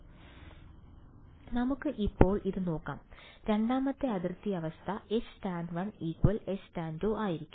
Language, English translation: Malayalam, So, let us look at it now the second boundary condition is going to be H tan 1 is equal to H tan 2